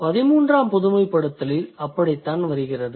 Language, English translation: Tamil, That is how the generalization 13 comes into existence